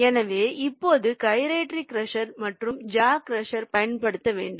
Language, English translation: Tamil, so when should i use the gyratory crusher and jaw crusher